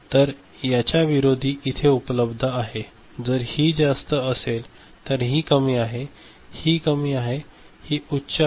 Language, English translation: Marathi, So, just opposit things is available if it is high this is low; this is low, this is high